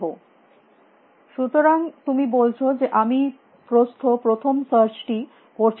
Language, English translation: Bengali, So, you are saying why do not you do breadth first search